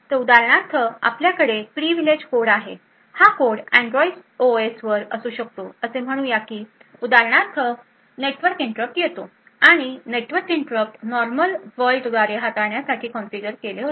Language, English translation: Marathi, So, for example we have privileged code over here could be at Android OS so let us say for example that a network interrupt occurs and a network interrupts are configured to be handle by the normal world